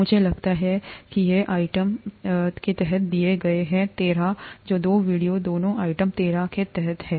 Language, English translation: Hindi, I think these are given in, under item 13, these two videos both are under item 13